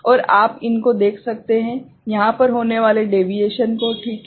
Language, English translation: Hindi, And what you can see these, the deviation occurring over here ok